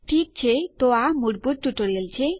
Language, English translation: Gujarati, Ok so thats the basic tutorial